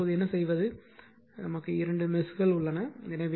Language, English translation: Tamil, So, you now what you do is, that 2 messes are there